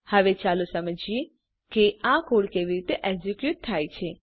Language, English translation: Gujarati, now Let us understand how the code is executed